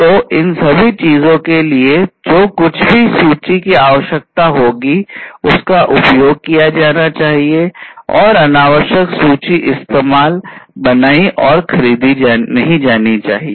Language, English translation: Hindi, So, all of these things whatever inventory would be required should be used, and not unnecessary inventories should be used built up and procured